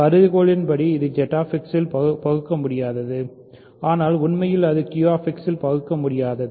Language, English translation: Tamil, So, the hypothesis is that it is irreducible in Z X, but it is actually also irreducible in Q X